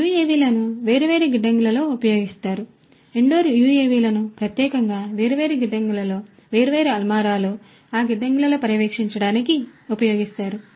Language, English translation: Telugu, UAVs are used in different warehouses, the indoor UAVs particularly are used in the different warehouses to monitor the different shelves, in those warehouses